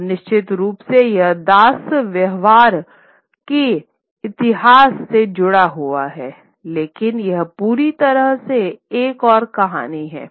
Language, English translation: Hindi, And of course, it's also tied to the history of slave trade, but that's another story altogether